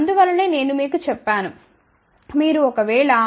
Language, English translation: Telugu, That is why I had told you if you take 0